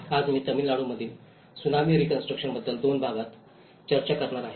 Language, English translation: Marathi, Today, I am going to discuss about Tsunami Reconstruction in Tamil Nadu in two parts